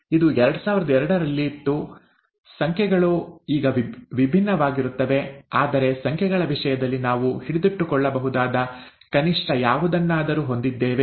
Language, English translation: Kannada, This was in two thousand two, the numbers, of course would be different now, but atleast we have something that we can hold on to, in terms of numbers